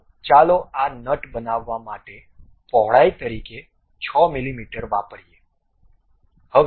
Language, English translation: Gujarati, So, let us use 6 mm as the width to construct this nut